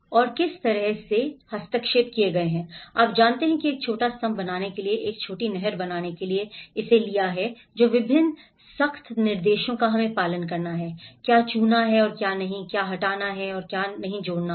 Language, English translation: Hindi, And how, what kind of interventions have been formed you know, to make a small pillar it might have taken this to make a small canal, what are the various strict instructions we have to follow, what to touch and what not to touch, what to remove and what not to add